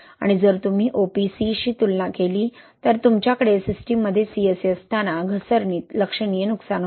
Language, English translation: Marathi, And if you compare with OPC, right, when you have a CSA in the system, there is a significant loss in slump